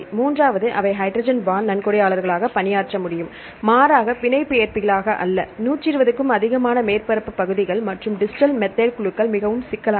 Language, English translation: Tamil, So, this is second question; and the third again that can serve as hydrogen bond donors and not hydrogen bond acceptors or because surface areas greater than 120 and the distal methyl groups it is very complicated